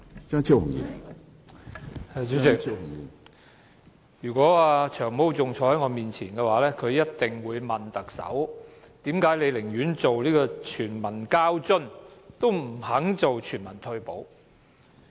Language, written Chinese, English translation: Cantonese, 主席，如果"長毛"仍然坐在我前面，他一定會問特首，為何她寧願推出全民交通津貼，也不肯推行全民退休保障？, President if Long Hair still sat before me he would definitely ask the Chief Executive why she would rather introduce universal transport subsidy than agree to implement universal retirement protection